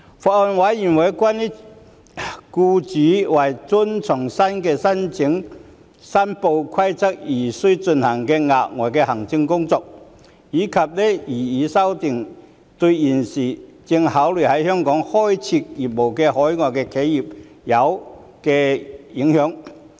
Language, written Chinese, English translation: Cantonese, 法案委員會關注僱主為遵從新的申報規定而需進行的額外行政工作，以及擬議修訂對現正考慮在香港開設業務的海外企業有何影響。, The Bills Committee is concerned about employers additional administrative work for meeting the new reporting requirements and the impact of the proposed amendments on overseas enterprises which are considering setting up businesses in Hong Kong